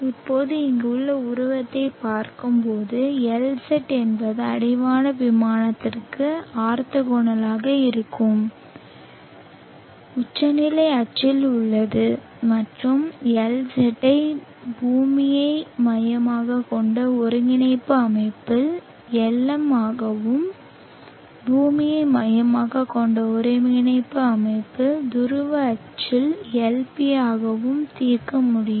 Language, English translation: Tamil, Now looking at the figure here Lz is along the zenith axis which is orthogonal to the horizon plane and Lz can be resolved into Lm on the earth centric coordinate system and also Lp on the earth centric coordinate system polar axis